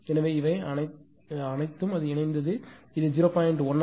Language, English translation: Tamil, So, that is 0